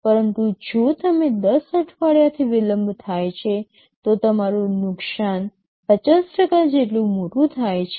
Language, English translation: Gujarati, But if you are delayed by 10 weeks, your loss becomes as large as 50%